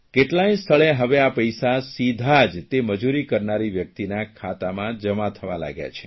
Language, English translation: Gujarati, In many places the wages of the labourers is now being directly transferred into their accounts